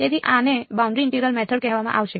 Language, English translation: Gujarati, So, this is would be called the boundary integral method ok